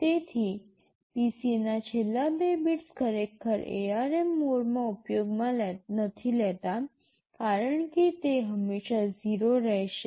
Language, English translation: Gujarati, So, the last two bits of PC are actually not used in the ARM mode, as they will always be 0